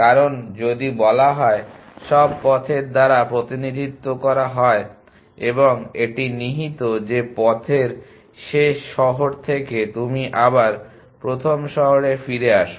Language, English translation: Bengali, Because if all the told represented by path and it is implicit that from the last city in the path you come back the first city